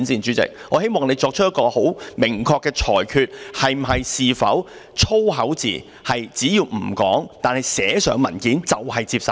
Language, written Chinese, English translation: Cantonese, 主席，我希望你作出明確的裁決，是否只要粗口字眼不說出來，而是寫在文件上，便可以接受？, President I hope that you make an explicit ruling as to whether swear words are acceptable as long as they are not uttered but written in papers?